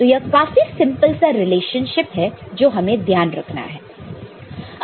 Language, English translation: Hindi, This is very simple relationship we will keep in mind, ok